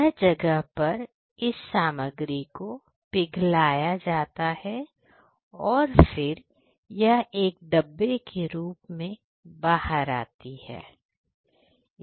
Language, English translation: Hindi, That material is melted here and it comes out as a box